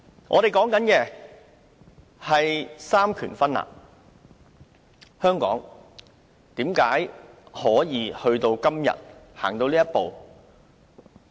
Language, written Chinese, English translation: Cantonese, 我們說"三權分立"，香港為甚麼可以走到今天這一步？, We talk about separation of powers . How can Hong Kong come to this stage today?